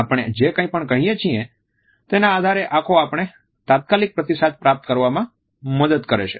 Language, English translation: Gujarati, Eyes also help us to get the immediate feedback on the basis of whatever we are saying